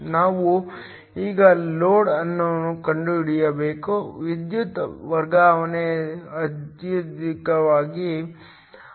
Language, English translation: Kannada, We now have to find out the load at which, the power transfer is essentially maximum